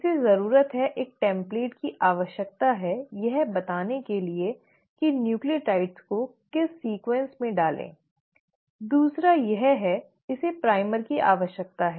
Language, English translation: Hindi, It needs, one it needs a template to tell how to put in and in what sequence to put in the nucleotides, the second is it requires a primer